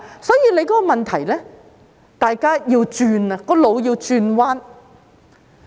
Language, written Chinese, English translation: Cantonese, 所以，問題是大家要轉變，腦袋要轉彎。, So the thing is we have to change ourselves by adopting a flexible mindset